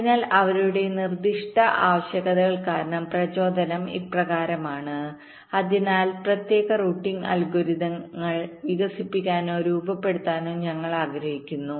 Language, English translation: Malayalam, ok, so the motivation is as follows: because of their very specific requirements, so we want to develop or formulate specialized routing algorithms